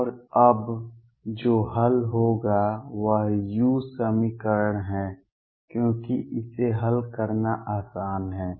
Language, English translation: Hindi, And what will be solving now is the u equation because that is easier to solve